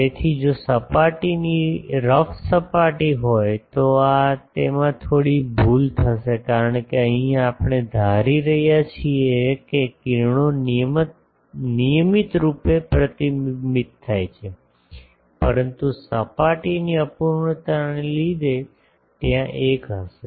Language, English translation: Gujarati, So, if the surface is having a rough surface then there will be some error because here we are assuming that the rays are regularly reflected but due to the surface imperfection there will be a